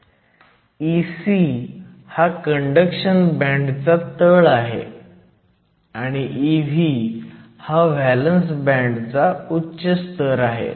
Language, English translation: Marathi, So, Ec is the bottom of the conduction band, Ev is the top of the valence band